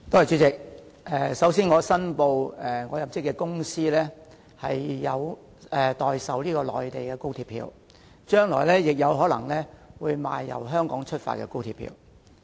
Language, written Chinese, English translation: Cantonese, 主席，首先，我申報我入職的公司有代售內地高鐵票，將來亦可能會售賣由香港發出的高鐵票。, President first of all I declare that I am an employee of a company which sells Mainland high - speed railway tickets and may sell tickets of the Guangzhou - Shenzhen - Hong Kong Express Rail Link XRL issued in Hong Kong in the future